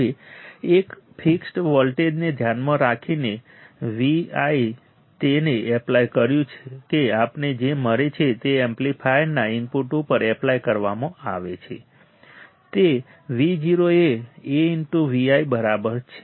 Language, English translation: Gujarati, Now, considering a fixed voltage V i applied to that the applied at the input of the amplifier what we get is V o equals to A times V i